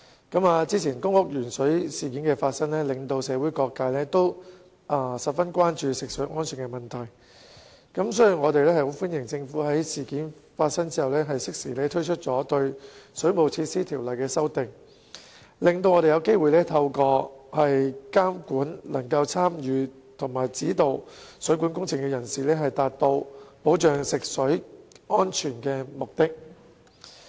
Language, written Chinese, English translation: Cantonese, 早前發生的公屋鉛水事件令社會各界十分關注食水安全問題，所以我們十分歡迎政府在事件發生後適時對《水務設施條例》作出修訂，讓我們有機會透過監管能夠參與及指導水管工程的人士，達到保障食水安全的目的。, The recent lead - in - water incident in public housing estates has aroused grave concern about the safety of drinking water among various social sectors . So we highly welcome the Governments timely amendments to the Waterworks Ordinance after the incident . This has given us an opportunity to achieve the objective of ensuring the safety of drinking water through monitoring those who participate in and supervise plumbing works